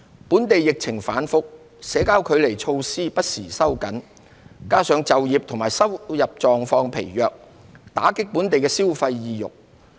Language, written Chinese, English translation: Cantonese, 本地疫情反覆，社交距離措施不時收緊，加上就業和收入狀況疲弱，打擊本地消費意欲。, Given the volatile local epidemic situation social distancing measures were tightened from time to time . This coupled with the weak job and income conditions has dampened local consumer sentiments